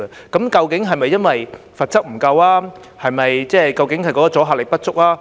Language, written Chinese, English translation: Cantonese, 究竟是否由於罰則不足夠抑或阻嚇力不足？, Is the problem due to a lack of penalties or deterrent effect?